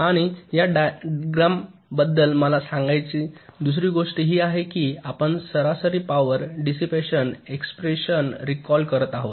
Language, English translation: Marathi, ok, and the other thing i want to also show with respect to this diagram is that you see, you recall the average power dissipation expression